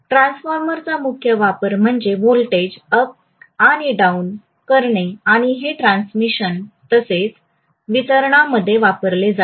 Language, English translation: Marathi, So the major application of a transformer is to step up and step down the voltages and this will be used in transmission as well as distribution